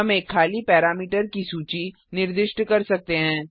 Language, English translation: Hindi, We can specify an empty parameter list